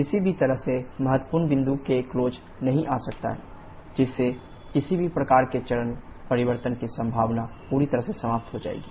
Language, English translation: Hindi, In no way can come anywhere close the critical point, thereby completely eliminating the possibility of any kind of phase change